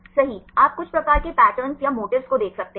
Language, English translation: Hindi, Correct, you can see some sort of patterns or motifs right